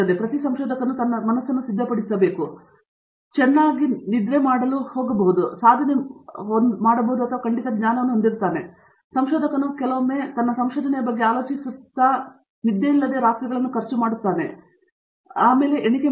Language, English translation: Kannada, So, every researcher has to actually make up his mind, what is going to make him sleep well that night that he has a sense of accomplishment and of course, as a researcher sometimes I spend sleepless nights thinking about my research so and that doesn’t count